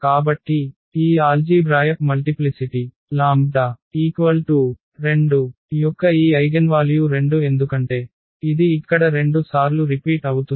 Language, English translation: Telugu, So, the algebraic multiplicity of this lambda is equal to 2 this eigenvalue 2 is because it is repeated 2 times here